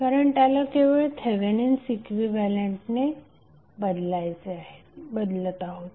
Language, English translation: Marathi, We are just simply replacing it with the Thevenin equivalent